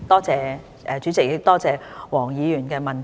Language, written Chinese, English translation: Cantonese, 主席，多謝黃議員的質詢。, President I thank Dr WONG for her question